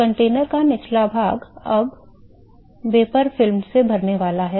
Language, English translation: Hindi, So, the bottom of the container is now going to be filled with the a vapor film